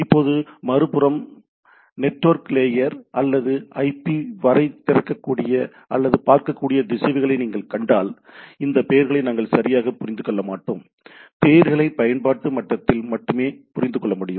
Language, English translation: Tamil, Now on the other if you see the routers which can open up to or look up to network layer or IP, we’ll not understand this names right, names can be only understood at the application level right